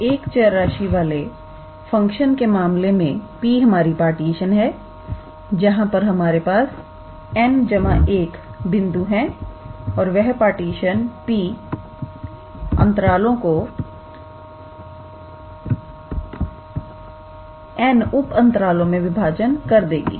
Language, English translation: Hindi, So, in case of function of one variable we had P as a partition where we had n plus 1 number of points and that partition P divided the interval into n subintervals